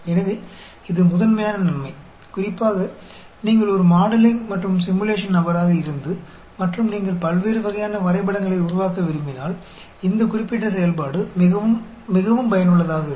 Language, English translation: Tamil, So, that is the main advantage, especially if you are a modeling and simulating, simulation person, and if you want to generate different types of graphs, then this particular function is very, very useful